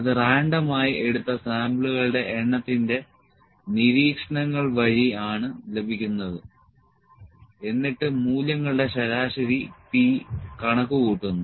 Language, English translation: Malayalam, So, it is obtained by taking the number of samples of observations at a random and computing the average P across the values